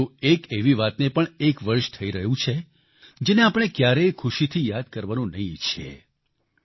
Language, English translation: Gujarati, However, it has been one year of one such incidentwe would never want to remember fondly